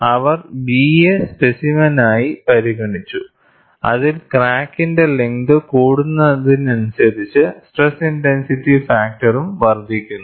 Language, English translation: Malayalam, They considered specimen B, wherein, as the crack length increases, the stress intensity factor also increases